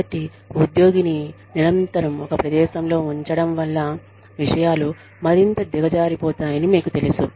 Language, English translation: Telugu, So, you know, constantly putting the employee in a spot is, going to make matters, worse